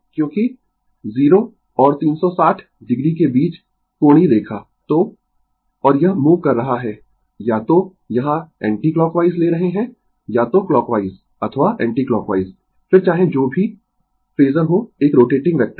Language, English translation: Hindi, Because angular line between 0 and a 360 degree so, and it is moving your either here we are taking anticlockwise either clockwise or anticlockwise what isoever the phasor is a rotating vector right